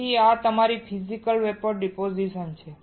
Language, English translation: Gujarati, So, this is your Physical Vapor Deposition